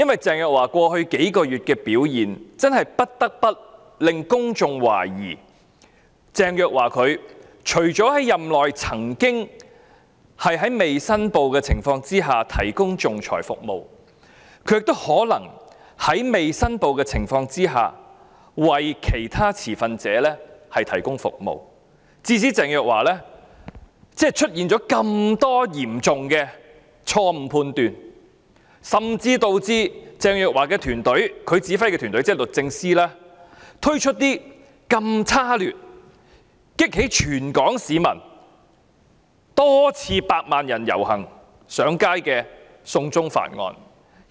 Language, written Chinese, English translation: Cantonese, 鄭若驊過去幾個月的表現的確引起公眾懷疑，她除了在任內未經申報提供仲裁服務，還可能在未經申報的情況下，為其他持份者提供服務，致使她犯了這麼多嚴重錯判，甚至導致她率領的團隊推出極度差劣的"送中條例"，激起全港多次百萬人上街遊行反對。, Teresa CHENGs performance in the past few months did arouse public suspicions . In addition to providing arbitration services during her tenure without making declaration she might have provided services to other stakeholders without declaring interest . As a result she has made many serious misjudgments and even pushed her team to introduce the highly despicable China extradition bill thereby provoking millions of Hong Kong people to take to the streets for many times